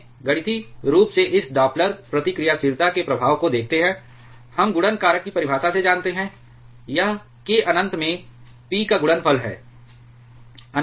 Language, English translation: Hindi, Let us see mathematically the effect of this Doppler reactivity, we know from the definition of multiplication factor, it is the product of p into k infinity